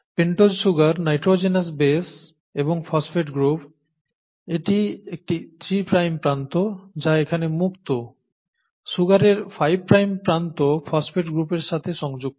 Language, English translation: Bengali, The pentose sugar, right, and the nitrogenous base and the phosphate group to, this is a three prime end which is free here, the five prime end of the sugar is attached with the phosphate group